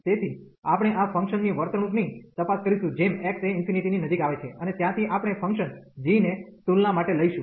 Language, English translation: Gujarati, So, we will check the behavior of this function as x approaching to infinity, and from there we will take the function g for the comparison